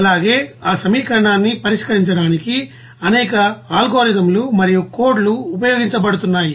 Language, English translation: Telugu, Also, there are several you know algorithms and you know codes are being used to solve those equation